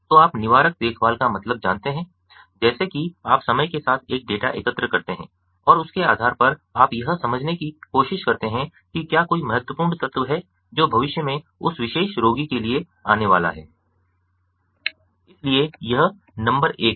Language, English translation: Hindi, so you know, preventive care means, like you know, you collect a data over time and based on that you try to understand that whether there is a critical element that is going to come in the future for that particular patient